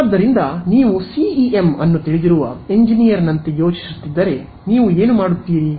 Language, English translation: Kannada, So, if you are thinking like an engineer who knows CEM how, what would you do